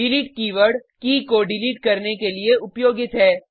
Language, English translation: Hindi, delete keyword is used to delete the key